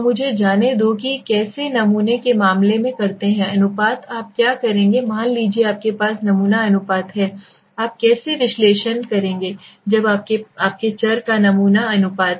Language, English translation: Hindi, So let me go to that how do in the case of sample proportions what will you do suppose you have sample proportions how will you analysis you sample proportions when your variable